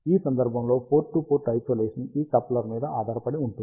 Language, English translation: Telugu, Port to port isolation in this case depends on this coupler over here